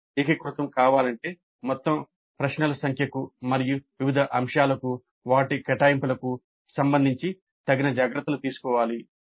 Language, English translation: Telugu, If it is to be integrated we have to take an appropriate care with respect to the total number of questions and their allocation to different aspects